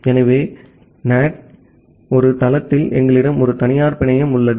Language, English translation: Tamil, So, in one site of the NAT, we have a private network